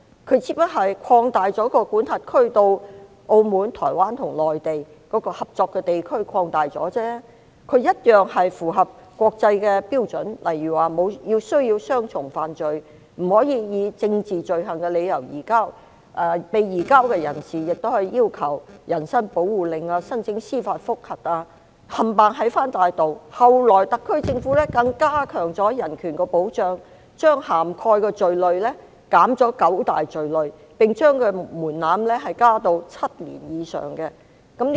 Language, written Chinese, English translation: Cantonese, 它只不過擴大管轄區至澳門、台灣和內地，擴大了合作的地區而已，一樣符合國際標準，例如需要雙重犯罪、不可以政治罪行的理由移交、被移交人士亦可要求人身保護令及申請司法覆核，全部齊備，後來特區政府更加強人權保障，將涵蓋的罪類減少九大罪類，並將門檻加至7年以上。, It also meets international standards such as dual criminality no surrender on political grounds and the surrendered person can also request a habeas corpus and apply for judicial review . All the requirements are there and in order . Later the HKSAR Government further strengthened human rights protection by reducing the eligible crimes by nine major categories and increased the threshold to seven years or above